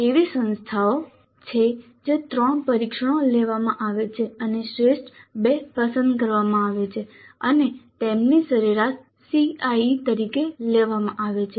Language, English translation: Gujarati, There are institutes where three tests are conducted and the best two are selected and their average is taken as the CIE